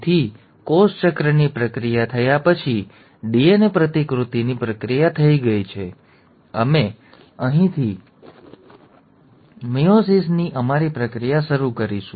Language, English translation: Gujarati, So after the process of cell cycle has happened, the process of DNA replication has taken place, we will be starting our process of meiosis from here